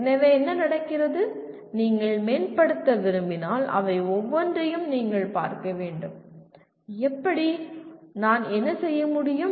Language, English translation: Tamil, So what happens, if you want to improve you have to look at each one of them and to see how, what is it that I can do